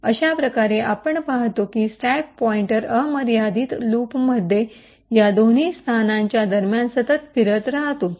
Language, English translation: Marathi, So, in this way we see that the stack pointer continuously keeps moving between these two locations in an infinite loop